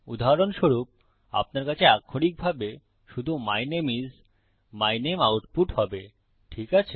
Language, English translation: Bengali, For example, you would literally just have output my name is, my name, Okay